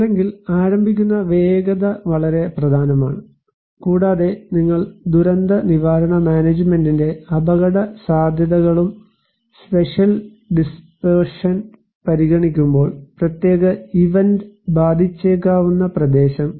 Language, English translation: Malayalam, Or so, speed of onset is very important and when you are considering the hazards in disaster risk management and the spatial dispersion; area likely to be affected by particular event